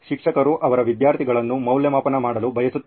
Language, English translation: Kannada, Teacher would want to evaluate her or his students